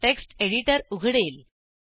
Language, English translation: Marathi, The text editor is opened